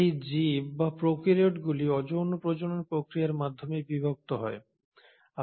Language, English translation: Bengali, And, these organisms or prokaryotes divide through the process of asexual reproduction